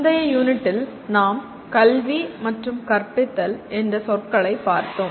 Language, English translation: Tamil, These are what we were doing in the previous unit, we looked at the words education and teaching